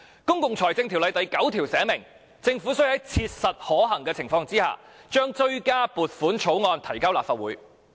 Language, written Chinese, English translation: Cantonese, 《公共財政條例》第9條訂明，政府需要在切實可行的情況下，將追加撥款條例草案提交立法會。, Section 9 of PFO requires the Government to introduce the supplementary appropriation bill into the Legislative Council as soon as practicable